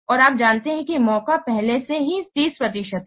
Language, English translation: Hindi, And you know the chance is already 30 percent